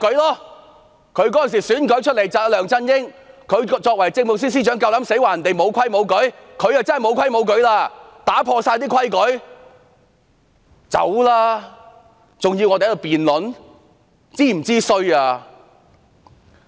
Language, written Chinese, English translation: Cantonese, 作為梁振英政府的政務司司長，她在選舉期間夠膽指責別人無規無矩，但她才是無規無矩，打破了所有規矩。, As the Chief Secretary for Administration of the LEUNG Chun - ying Administration she dared accuse others of defying rules and regulations during the election . But it is she who is the rule - breaker flouting all the rules and regulations